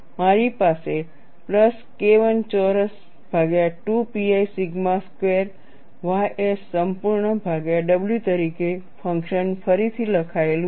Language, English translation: Gujarati, I have the function rewritten as a plus K 1 square divided by 2 pi sigma square ys whole divided by w